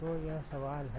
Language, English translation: Hindi, So, that is the question